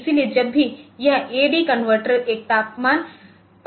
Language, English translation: Hindi, So, whenever this a d converter finishes converting one temperature value